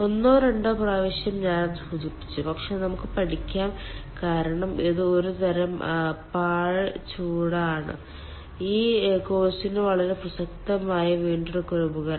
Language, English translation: Malayalam, once or twice i have mentioned it, but let us study because this is some sort of waste heat recovery device which is ah very relevant for this course